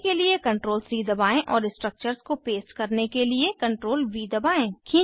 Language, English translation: Hindi, Press CTRL + C to copy and CTRL+V twice to paste the structures